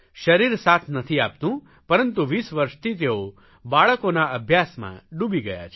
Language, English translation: Gujarati, The body does not support him but for the past 20 years he has devoted himself to child education